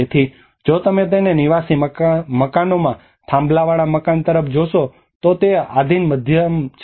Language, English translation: Gujarati, So if you look at it the pillared house in the residential buildings there a subjected the medium